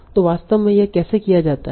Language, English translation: Hindi, So now how is it actually done